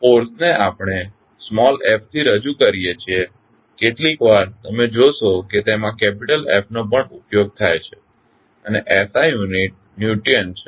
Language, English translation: Gujarati, Force we represent with small f sometimes you will also see capital F is being used and the SI unit is Newton